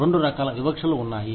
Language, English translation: Telugu, Two types of discrimination, that exist